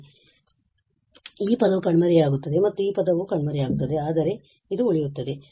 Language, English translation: Kannada, So, this term will vanish and also this term will vanish, but this will remain